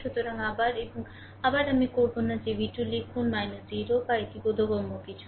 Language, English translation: Bengali, So, again and again I will not write that v 2 minus 0 or something it is understandable right